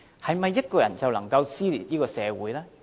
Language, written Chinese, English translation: Cantonese, 是否一個人就能夠撕裂這個社會呢？, Is it possible for one single person to tear this society apart?